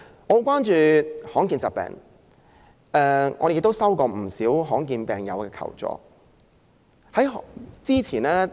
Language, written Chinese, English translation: Cantonese, 我很關注罕見疾病的問題，亦曾接獲不少罕見疾病患者的求助。, Please excuse me Secretary Prof CHAN for I am very concerned about the issue of rare diseases and have received requests for assistance from many rare diseases patients